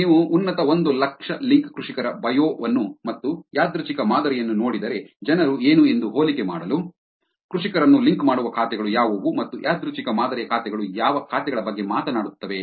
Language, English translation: Kannada, Now, if you look at the bio of top 100,000 link farmers and random sample, just to get an comparison of what are the people, what are the accounts which are actually link farmers and what are the accounts which are random sample talking about